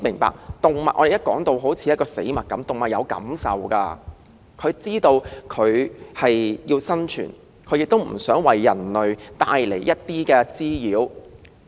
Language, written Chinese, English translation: Cantonese, 說到動物時，當局將之視如死物，但動物也有感受，也有生存意志，並非故意為人類帶來滋擾。, When it comes to animals they are often treated as non - living objects but they also have feelings and the will to survive and they do not mean to bring nuisance to human beings